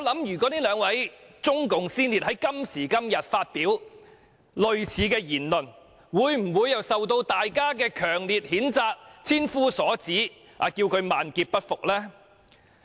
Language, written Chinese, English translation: Cantonese, 如果這兩位中共先列在今時今日發表類似言論，會否受到大家強烈譴責、千夫所指，要他們萬劫不復呢？, If these two pioneers of CPC made similar remarks today would they be strongly condemned and criticized by everyone such that they would be doomed forever?